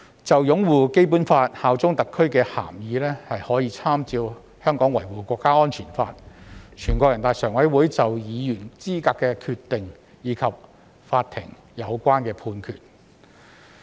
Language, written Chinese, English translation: Cantonese, 就擁護《基本法》、效忠特區的涵義，可參照《香港國安法》、全國人大常委會就議員資格的決定，以及法庭的相關判決。, Regarding the meaning of upholding the Basic Law and bearing allegiance to SAR we may refer to the National Security Law the Decision of NPCSC on the qualification of the Member of the Legislative Council and the relevant court judgments